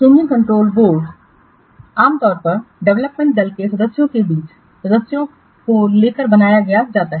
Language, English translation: Hindi, The change control board is usually constructed by taking members among the development team members